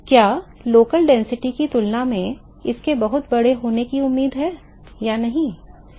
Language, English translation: Hindi, Is it expected to be very large compared to the density the local density or not